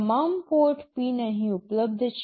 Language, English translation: Gujarati, All the port pins are available here